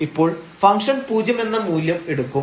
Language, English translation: Malayalam, So, the function will take the value 0